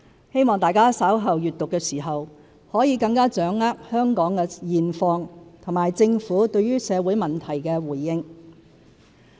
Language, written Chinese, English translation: Cantonese, 希望大家稍後閱讀的時候，可以更掌握香港的現況和政府對社會問題的回應。, I hope that when you read it you will get a better grasp of Hong Kongs current situation and the Governments responses to various social issues